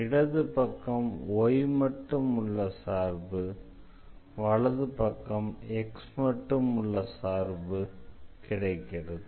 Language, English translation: Tamil, So, we have this side everything the function of y and the right hand side we have the function of x